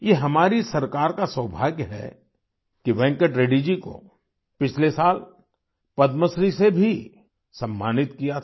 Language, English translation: Hindi, Our Government is fortunate that Venkat Reddy was also honoured with the Padmashree last year